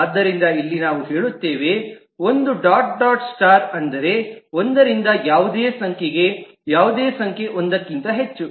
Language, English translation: Kannada, So here we say it is 1 dot dot star, which means that one to any number more than one, And here it is one